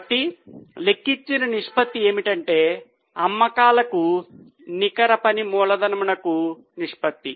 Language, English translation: Telugu, So, the ratio which is calculated is net working capital to sales